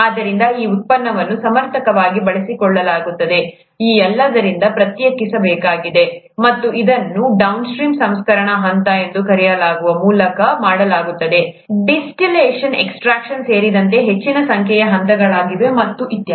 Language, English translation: Kannada, So, this product needs to be separated out from all this to be able, for it's proper use, and that is done by what are called the downstream processing steps, a large number of steps, including distillation extraction and so on and so forth, till we get the final purified product, okay